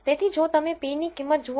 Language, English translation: Gujarati, So, if you look at the p value